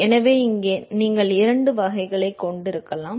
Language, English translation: Tamil, So, here you can have two types